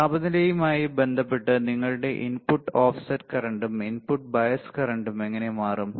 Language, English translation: Malayalam, With respect to the temperature how your input offset current and input bias current would change